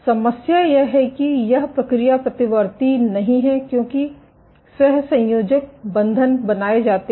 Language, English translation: Hindi, The problem is this process is not reversible because covalent bonds are made